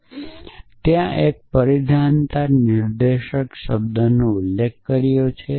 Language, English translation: Gujarati, So, we had mention the term dependency directed back tracking there